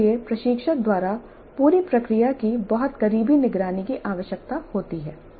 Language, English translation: Hindi, This requires very close monitoring the whole process by the instructor